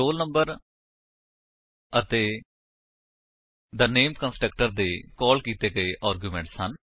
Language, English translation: Punjabi, the roll number and the name are the arguments passed to the constructor